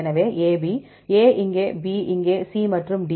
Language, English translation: Tamil, So, A B; A here, B here, C and D